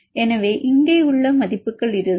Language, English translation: Tamil, So, you will get the values